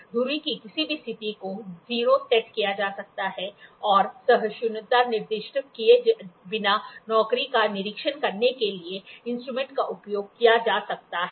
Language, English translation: Hindi, Any position of the spindle can set can be set to 0 and the instrument can be used for inspecting a job without specifying the tolerance